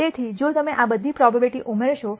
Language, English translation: Gujarati, So, if you add up all these probabilities